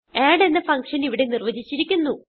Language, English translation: Malayalam, Here we have defined a function called add